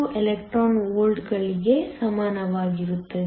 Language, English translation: Kannada, 42 electron volts